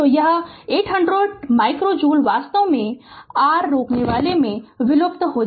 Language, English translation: Hindi, So, this 800 micro joule actually dissipated in the your resistor